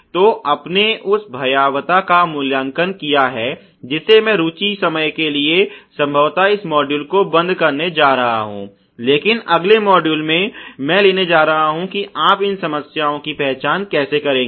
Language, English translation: Hindi, So, you have rated the severity, you have rated the occurrence I am going to probably close on this module in the interest time, but in the next module I am going to take up how you will rate the detectability of this problems